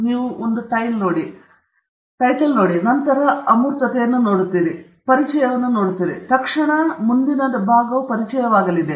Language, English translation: Kannada, You see a tile, and then, you see an abstract, and then, you will see an introduction; the immediate next section will be the introduction